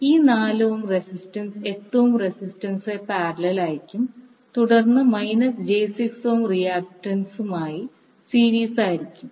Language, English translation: Malayalam, And this 4 ohm resistance will now be in parallel with 8 ohm resistance in series with minus j 6 ohm reactant